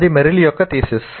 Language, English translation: Telugu, That is Merrill's thesis